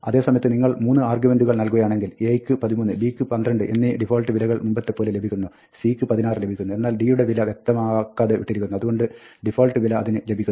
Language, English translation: Malayalam, On the other hand, you might provide 3 arguments, in which case, a becomes 13, b becomes 12 as before, and c becomes 16, but d is left unspecified; so, it pick up the default value